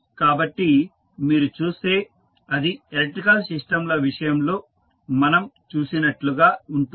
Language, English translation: Telugu, So, if you see it is similar to what we saw in case of electrical systems